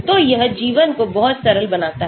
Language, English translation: Hindi, so it makes life much simpler